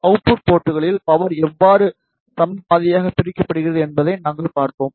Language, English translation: Tamil, And then we saw, how the power is divided in equal half at the output ports